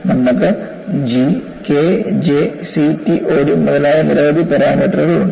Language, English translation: Malayalam, You have several parameters G, K, J, CTOD and so on